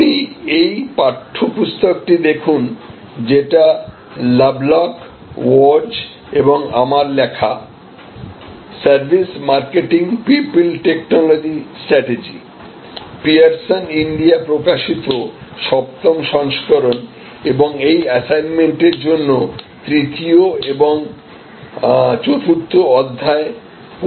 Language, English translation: Bengali, And in your text book, you can refer to this text book of by written by Lovelock and Wirtz and myself, services marketing, people technology strategy, 7'th edition, published by Pearson India and this assignment for this you should refer to chapter 3 and chapter 4